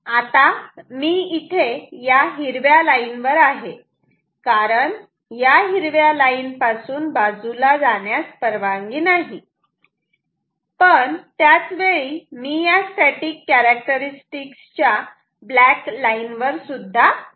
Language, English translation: Marathi, Now, I am simultaneously on this green line because I am not allowed to move away from a green line, but I am also on this black line this static characteristic